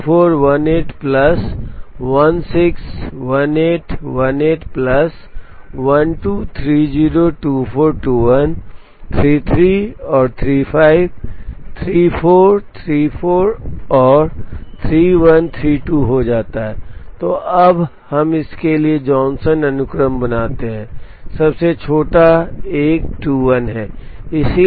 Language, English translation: Hindi, So, this becomes 34 18 plus 16 18, 18 plus 12 30 24 21 33 and 35 34, 34 and 31 32, so now, we make the Johnson sequence for this, the smallest one is 21